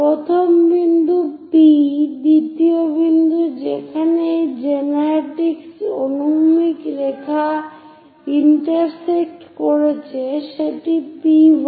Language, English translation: Bengali, First point that is our P, the second point where these generatrix horizontal line intersecting is P1